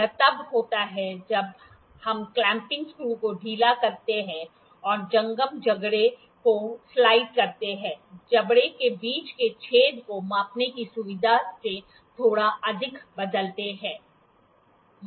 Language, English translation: Hindi, It is when we loosen the clamping screw and slide the moveable jaw, altering the opening between the jaws slightly more than the feature to be measured